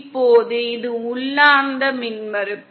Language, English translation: Tamil, Now this is intrinsic impedance